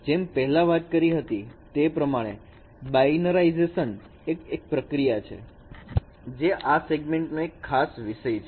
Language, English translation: Gujarati, The binarization process what we discussed earlier, it is a special case of this segmentation